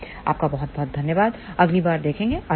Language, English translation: Hindi, So thank you very much, see you next time bye